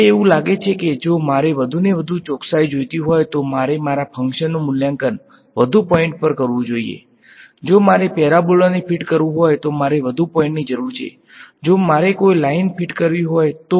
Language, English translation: Gujarati, Now, it seems that if I want more and more accuracy then I should evaluate my function at more points right; for the if I want to fit a parabola I need more points then if I want to fit a line right